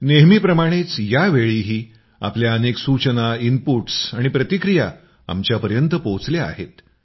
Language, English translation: Marathi, As always, this time too we have received a lot of your suggestions, inputs and comments